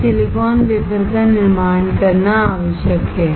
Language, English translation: Hindi, That is required to manufacture a silicon wafer